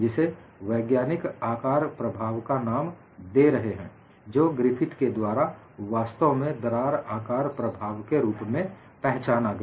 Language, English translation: Hindi, And what scientists were coining it as size effect, was identified by Griffith as indeed a crack size effect